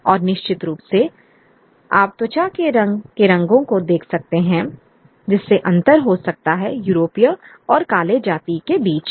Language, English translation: Hindi, And certainly you can look at the colors of the skin color making that distinction between the European and the dark, dark races